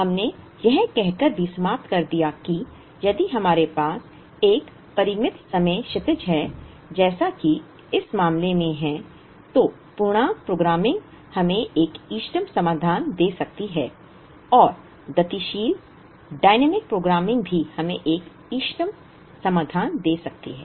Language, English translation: Hindi, We also ended by saying that, if we have a finite time horizon as it is in this case, integer programming can give us an optimal solution and dynamic programming also can give us an optimal solution